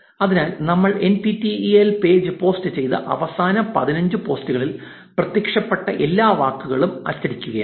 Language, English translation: Malayalam, So, what we are doing is we are printing all the words that appeared in the last fifteen posts posted by the NPTEL page